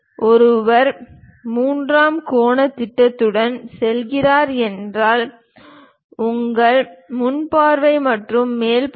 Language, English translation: Tamil, If one is going with third angle projection, your front view and top view